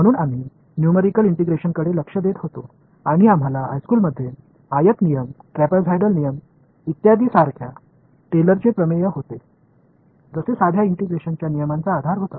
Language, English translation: Marathi, So, we were looking at numerical integration right and we found out the basis of the simple integration rules that we came across in high school like the rectangle rule, trapezoidal rule etcetera it was basically Taylor’s theorem